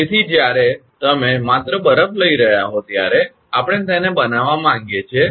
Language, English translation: Gujarati, So, when you are taking only ice we want to make it